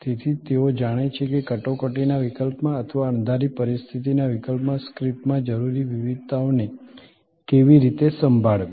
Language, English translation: Gujarati, So, that they know how to handle the variations needed in the script in case of an emergency or in case of an unforeseen situation